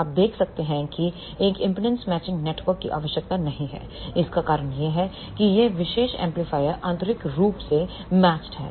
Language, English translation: Hindi, You can see there is a no impedance matching network required the reason for that is this particular amplifier is internally matched